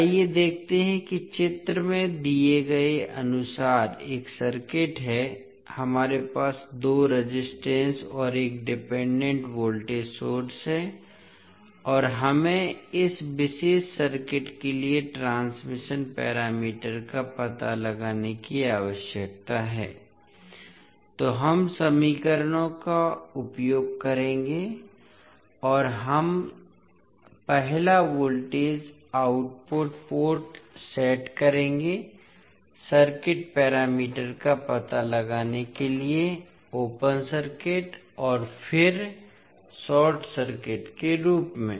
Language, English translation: Hindi, Let us see there is one circuit as given in the figure, we have two resistances and one dependent voltage source and we need to find out the transmission parameters for this particular circuit so we will use the equations and we will set first voltage the output port as open circuit and then short circuit to find out the circuit parameters